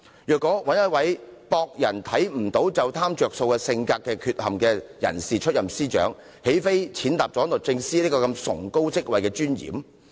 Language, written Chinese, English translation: Cantonese, 如果由這個有性格缺陷，以為別人不察覺便貪圖"着數"的人出任司長，豈非踐踏了律政司司長這崇高職位的尊嚴？, If we allow someone with this character defect trying to gain petty advantages when being unnoticed to take up the post of Secretary for Justice would this be a blow to the dignity of the lofty post?